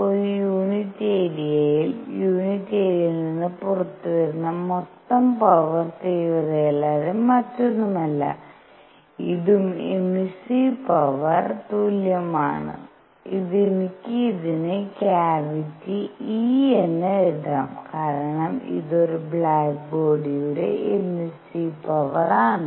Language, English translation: Malayalam, Total power coming out per unit area is nothing but the intensity, and this is also equal to the emissive power and I can write this as cavity e because this is a emissive power of a black body